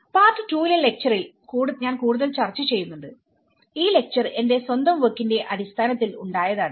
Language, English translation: Malayalam, Which I will be discussing in the next lecture in the part 2 lecture and this lecture is developed my own work